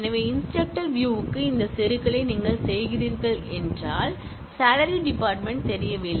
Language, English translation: Tamil, So, if you are doing this insertion into faculty, which is a view of instructor, then the salary field is not known